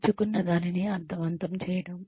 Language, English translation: Telugu, Making the learning meaningful